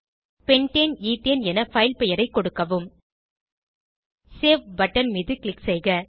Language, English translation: Tamil, Enter file name as Pentane ethane click on Save button